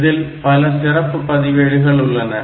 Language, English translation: Tamil, So, this is another special register